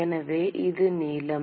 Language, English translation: Tamil, So, this is the length